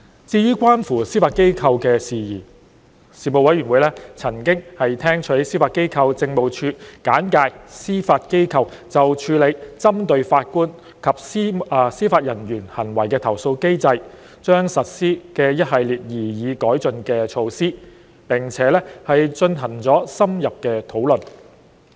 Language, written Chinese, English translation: Cantonese, 至於關乎司法機構的事宜，事務委員會曾聽取司法機構政務處簡介司法機構就處理針對法官及司法人員行為的投訴機制將實施的一系列擬議改進措施，並進行了深入的討論。, Regarding issues concerning the Judiciary the Panel received a briefing by the Judiciary Administration on a series of proposed enhancement to the Judiciarys mechanism for handling complaints against judicial conduct and conducted an in - depth discussion